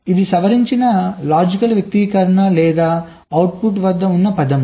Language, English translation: Telugu, o, and this is my modified logic expression or the word at the output l